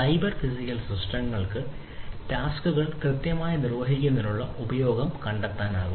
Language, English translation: Malayalam, So, cyber physical systems can find use to perform the tasks accurately, you know